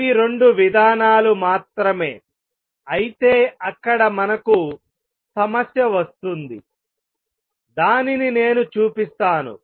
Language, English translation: Telugu, If these were the only 2 mechanisms, there comes a problem let me show that